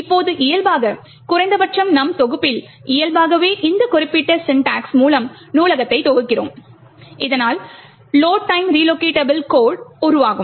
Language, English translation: Tamil, Now, by default at least in my compiler, yes in this compiler by default compiling it with this particular syntax will create a load time relocatable code